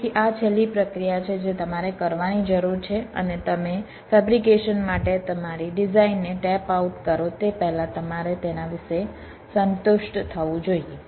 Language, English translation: Gujarati, so this is the last process that you need to be done and you should be satisfied about it before you tape out your design for fabrication